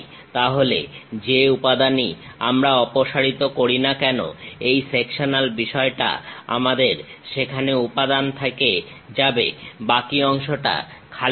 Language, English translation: Bengali, Then wherever the material we are removing, this sectional thing; we have left over material there, remaining part is empty